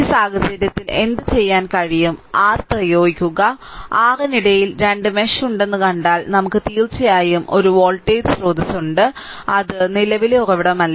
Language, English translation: Malayalam, So, in this case what you can what you can do is you apply your and if you see there are 2 mesh in between your what you call one we have of course one voltage source is there it is not a current source